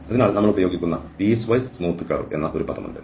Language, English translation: Malayalam, So, there is a term which we will be also using the piecewise is smooth curve